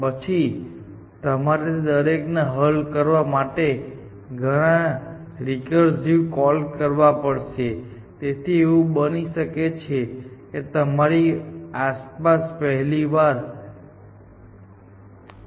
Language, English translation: Gujarati, Then, of course you have to make that many recursive calls to solve each of them, so it may be the case that the first time around you make 5 relay layers